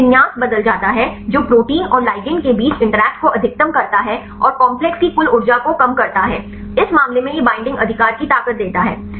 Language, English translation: Hindi, The orientation changes which maximizes the interaction between the protein and the ligand and minimize the total energy of the complex, this case it is it gives a strength of binding right